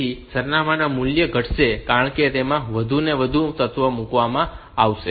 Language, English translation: Gujarati, So, this address values will decrement as the more and more element are put into it